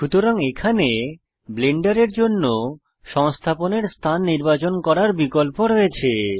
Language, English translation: Bengali, So here you have the option to Choose Install location for Blender